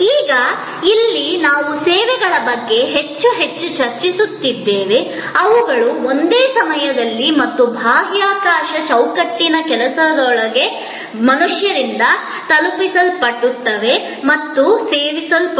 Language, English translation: Kannada, Now, you can understand that here we are discussing more and more about services, which are delivered and consumed by human beings within the same time and space frame work